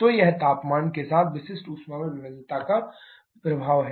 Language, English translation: Hindi, So, this is the effect of the variation in specific heat with temperature